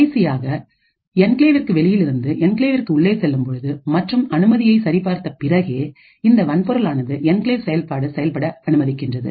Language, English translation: Tamil, And finally, there is a transfer from outside the enclave to inside the enclave and if all permission have been check are correct the hardware will permit the enclave function to execute